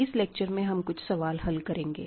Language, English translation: Hindi, In this video, we are going to do some problems